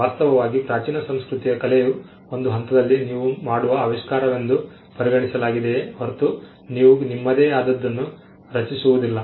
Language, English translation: Kannada, In fact, at 1 point in the ancient culture’s art was at regarded as a discovery that you make and not something which you create on your own